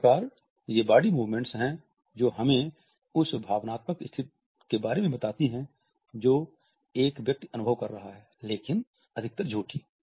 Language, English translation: Hindi, So, they are the movements of the body that tell us about the emotional state a person is experiencing, but more often faking